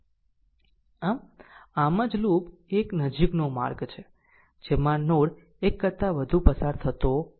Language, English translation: Gujarati, So, that is why a loop is a close path with no node pass more than once